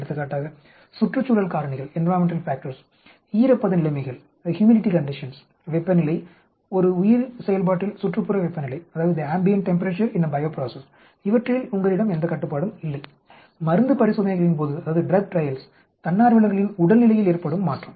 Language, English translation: Tamil, For example, environmental factors the humidity conditions, the temperature, the ambient temperature in a bio process you have no control, the volunteers’ health change during drug trails